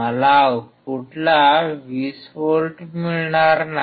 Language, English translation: Marathi, I will not get 20 volts out at the output